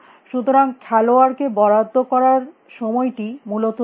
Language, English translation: Bengali, So, the time available to the player is fixed essentially